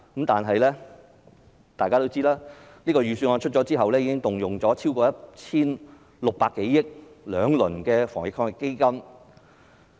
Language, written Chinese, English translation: Cantonese, 但大家也知道，預算案出台後，政府其實已動用了超過 1,600 多億元，推出了兩輪防疫抗疫基金。, However as we all know since the Budget was announced the Government has already allocated over 160 billion to launch two rounds of AEF